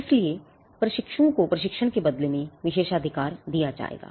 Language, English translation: Hindi, So, the privilege would be given in return of training to apprentices